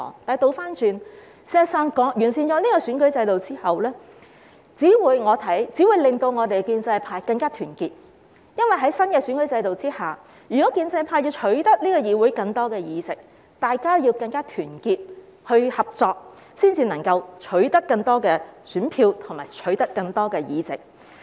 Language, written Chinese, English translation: Cantonese, 相反，我認為完善選舉制度之後，只會令建制派更加團結，因為在新的選舉制度下，如果建制派要取得議會更多的議席，大家要更加團結合作，才能夠取得更多選票和議席。, On the contrary I think that after the improvement of the electoral system it will only make the pro - establishment camp more united because under the new electoral system the pro - establishment camp must be more united and cooperative in order to get more votes and seats in this Council